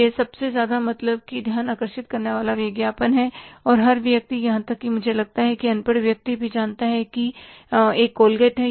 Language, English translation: Hindi, It is the most attention catching ad and every person even I think illiterate person also knows there is a call gate